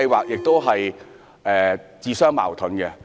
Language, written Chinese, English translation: Cantonese, 這項安排是自相矛盾的。, The arrangement is contradictory